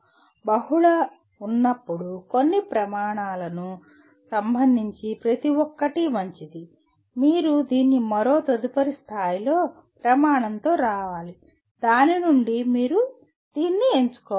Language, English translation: Telugu, When there are multiple, each one is good with respect to some criteria, you have to again come with another next level criterion from which you have to select this